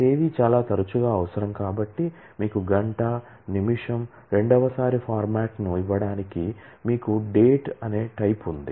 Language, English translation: Telugu, because date is very frequently required, you have a time type to give you hour, minute, second time format